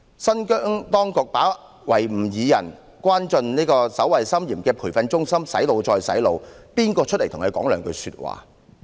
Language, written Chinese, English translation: Cantonese, 新疆當局把維吾爾人關進守衞森嚴的培訓中心"洗腦"，有誰站出來為他們發聲？, When the Xinjiang authorities detained Uighurs in those heavily guarded training center for brainwashing who has stood up to speak for them?